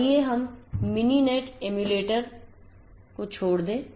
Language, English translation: Hindi, So, let us quit other Mininet emulator